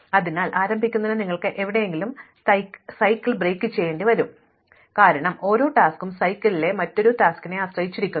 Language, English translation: Malayalam, So, you have to break the cycle somewhere in order to get started, but you cannot break it anywhere, because each task depends on something else in the cycle